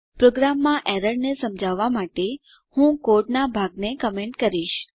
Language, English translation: Gujarati, To explain the error in the program, I will comment part of the code